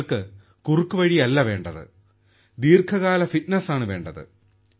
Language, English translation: Malayalam, You don't need a shortcut, you need long lasting fitness